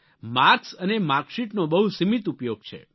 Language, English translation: Gujarati, Marks and marksheet serve a limited purpose